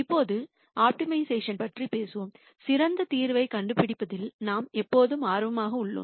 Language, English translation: Tamil, Now, when we talk about optimization we are always interested in nding the best solution